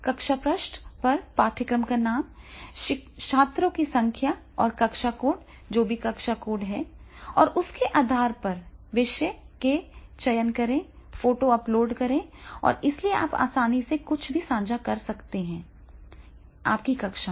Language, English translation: Hindi, The classroom page will appear the name of the course, the number of the students and the class code, whatever the class code is there, and then on the basis of that, then select the theme, so upload the photo and therefore sharing something with your class and therefore you can easily share something in your class